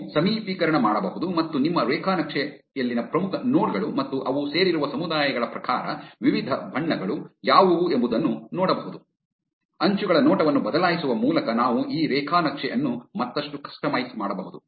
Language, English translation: Kannada, You can zoom in and see that, which are the most important nodes in your graph and what are the different colors according to the communities which they belong to, we can further customize this graph by changing the appearance of the edges